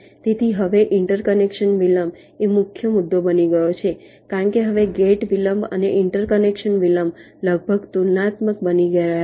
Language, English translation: Gujarati, so now interconnection delay has become a major issue because now the gate delays and the interconnection delays are almost becoming becoming comparable